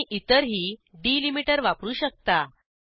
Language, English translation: Marathi, You can use any other delimiter also